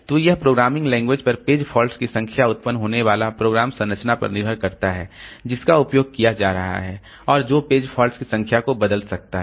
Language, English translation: Hindi, So it also depends on the programming language, the number of page faults that are generated a program structure that is being used and that can change the number of page faults